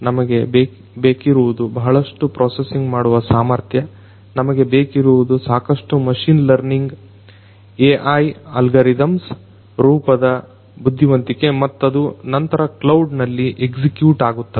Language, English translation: Kannada, We need huge processing capabilities, we need adequate intelligence in the form of machine learning AI algorithms which in turn are going to be executed at the cloud right